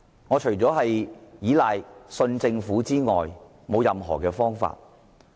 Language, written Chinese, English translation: Cantonese, 我們除了倚賴和相信政府之外，似乎已沒有其他方法。, Besides counting on and trusting the Government it seems that we have no other alternatives